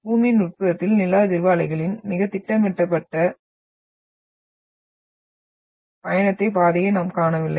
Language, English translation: Tamil, We do not see that very systematic travel path of the seismic waves in the interior of Earth